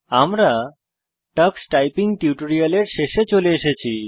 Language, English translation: Bengali, This brings us to the end of this tutorial on Tux Typing